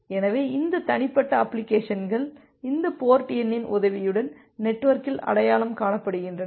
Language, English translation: Tamil, So, these individual applications they are identified over the network with the help of this port number